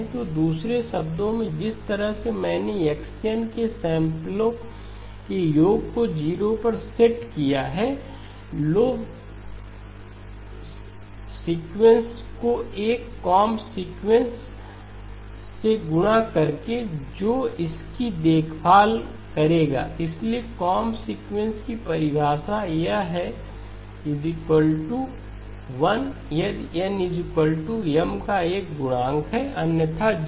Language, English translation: Hindi, So in other words, the way I set the sum of the samples of X of n to 0 is by multiplying the original sequence with a comb sequence which will take care of it, so comb sequence definition this is equal to 1 if n is equal to a multiple of M, equal to 0 otherwise